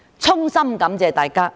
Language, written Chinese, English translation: Cantonese, 衷心感謝大家。, My heartfelt thanks go to them